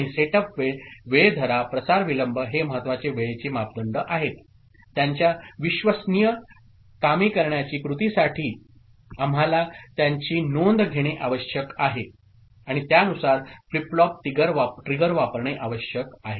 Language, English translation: Marathi, And setup time, hold time, propagation delay are important timing parameters for their reliable operation we need to take note of them, and use the flip flop triggering accordingly